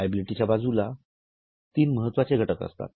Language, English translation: Marathi, Then on liability side we have got three important items